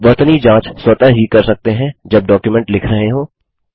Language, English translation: Hindi, The spell check can be done automatically while writing the document